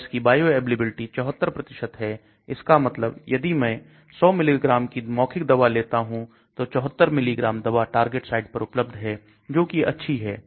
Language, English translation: Hindi, and its bioavailability is about 74%, that means if I take 100 milligrams of the drug orally 74 milligram of the drug is available at the target side which is good